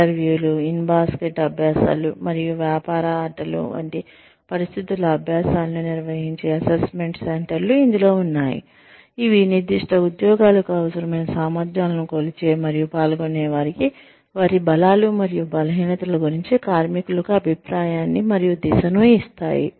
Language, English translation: Telugu, That includes, assessment centers, which conduct situational exercises, such as interviews, in basket exercises, and business games, which give feedback and direction to workers, which measure competencies needed for particular jobs, and provide participants with feedback, about their strengths and weaknesses